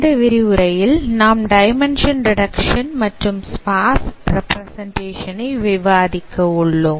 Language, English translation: Tamil, In this lecture we will discuss about dimension reduction and sparse representation